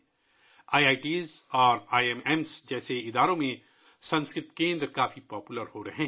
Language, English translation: Urdu, Sanskrit centers are becoming very popular in institutes like IITs and IIMs